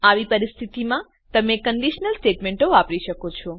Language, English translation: Gujarati, In such cases you can use conditional statements